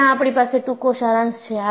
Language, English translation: Gujarati, Right now, we only have a short summary